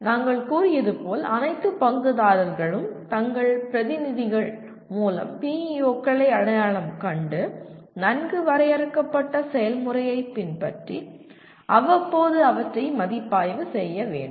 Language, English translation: Tamil, As we said all stakeholders through their representatives should identify the PEOs and review them periodically following a well defined process